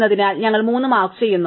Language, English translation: Malayalam, So, we mark for 3